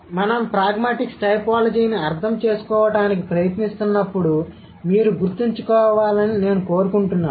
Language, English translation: Telugu, So, this is what I want you to remember when we are trying to understand pragmatic typology